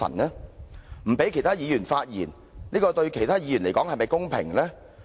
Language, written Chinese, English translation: Cantonese, 不讓其他議員發言，對其他議員來說是否公平？, Is it fair to other Members who are not allowed to speak?